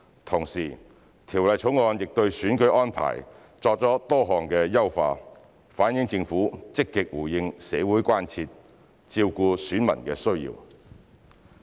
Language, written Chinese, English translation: Cantonese, 同時，《條例草案》對選舉安排作出多項優化，反映政府積極回應社會關注，照顧選民需要。, Meanwhile the various improvements proposed to the electoral arrangements in the Bill have reflected that the Government is active in responding to public concerns and addressing electors needs